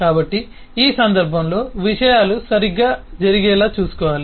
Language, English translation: Telugu, so we need to make sure that in this context things can happen correctly